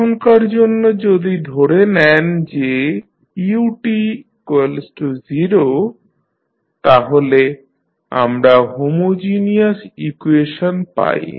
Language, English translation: Bengali, Now, if you assume for the time being that ut is 0 then we have homogeneous equation